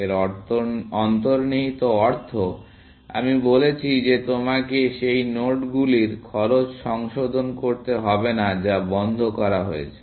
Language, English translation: Bengali, The implication of this, as I said is that you do not have to revise the cost of those nodes, which have been put into closed